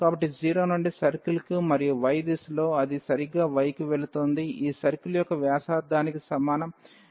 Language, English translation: Telugu, So, from 0 to the circle and it in the direction of y it is exactly going to y is equal to a that is the radius of this circle